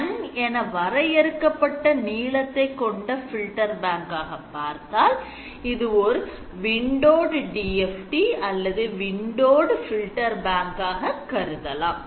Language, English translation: Tamil, So, you see that the filter bank is the most general you restrict length to N then it becomes a windowed filter bank windowed DFT